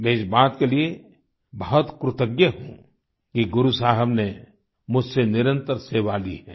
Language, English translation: Hindi, I feel very grateful that Guru Sahib has granted me the opportunity to serve regularly